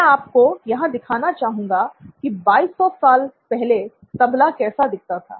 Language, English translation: Hindi, I would like you to look at what a “Tabla” looks like 2200 years ago and here it is